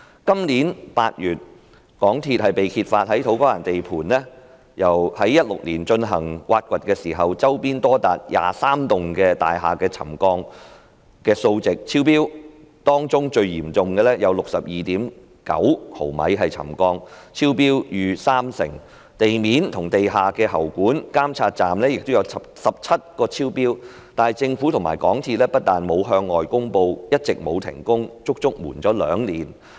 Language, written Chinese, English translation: Cantonese, 今年8月，港鐵公司被揭發在土瓜灣地盤於2016年進行挖掘時，周邊多達23幢大廈的沉降數值超標，當中最嚴重的有 62.9 毫米沉降，超標逾三成，地面及地下喉管的監測點亦有17個超標，但政府及港鐵公司不但沒有向外公布，一直沒有停工，更隱瞞了兩年。, In August this year it was disclosed that when MTRCL carried out excavation works at the construction site of the To Kwa Wan Station in 2016 the settlement data of as many as 23 adjacent buildings exceeded the trigger level recording in the most serious case a settlement reading of 62.9 mm which is over 30 % higher than the trigger level . Besides 17 monitoring points for roads and underground utilities were found to have exceeded the trigger level but neither the Government nor MTRCL made public these findings and worse still they did not suspend the construction works and had even concealed these problems for two years